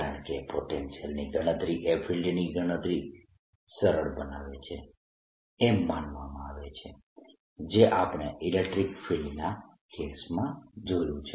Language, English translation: Gujarati, because [calculate/calculating] calculating a potential is suppose to make calculation of the field easier, as we saw in the case of electric field